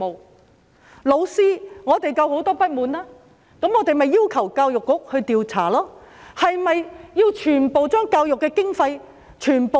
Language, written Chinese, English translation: Cantonese, 對於老師，我們同樣有很多不滿，於是我們便要求教育局調查，但是否要削減全部教育經費呢？, We also have a lot of grievances against the teachers so we asked the Education Bureau to investigate . However shall we slash all the spending for the education sector?